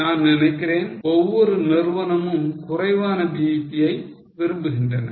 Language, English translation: Tamil, I think every company wants lower BEP